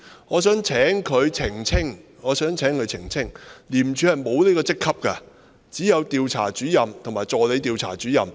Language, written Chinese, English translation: Cantonese, 我想請他澄清，廉政公署沒有這個職級，只有調查主任和助理調查主任。, I would like to seek his clarification . ICAC does not have this rank but only has the ranks of Investigator and Assistant Investigator and I was an Investigator